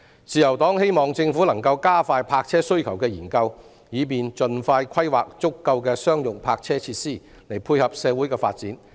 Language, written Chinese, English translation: Cantonese, 自由黨希望政府能夠加快泊車需求的研究，以便盡快規劃足夠的商用泊車設施，配合社會的發展。, The Liberal Party hopes that the Government can expedite the study on the need for parking spaces so as to plan quickly for the provision of sufficient commercial parking facilities to tie in with social development